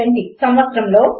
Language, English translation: Telugu, in the year 1970